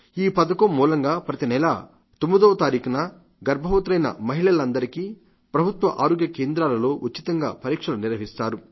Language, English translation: Telugu, Under this, on the 9th of every month, all pregnant women will get a checkup at government health centers free of cost